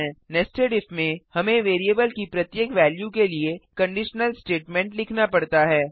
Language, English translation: Hindi, In nested if we have to write the conditional statement for each value of the variable